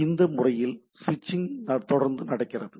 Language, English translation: Tamil, So, this is this way it goes on switching